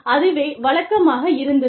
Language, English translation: Tamil, And so, that was the norm